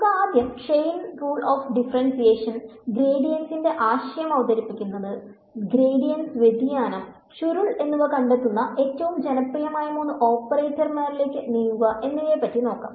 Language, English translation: Malayalam, We will start with the Chain Rule of Differentiation, introduce the idea of the gradient, move to the three most popular operators that we will find the gradient, divergence and the curl